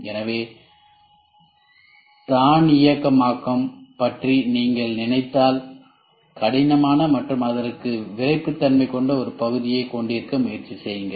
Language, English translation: Tamil, So, in if you think of automation try to have a part which is rigid and which has some stiffness to it